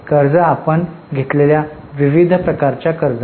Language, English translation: Marathi, Borrowings are various types of loans taken by you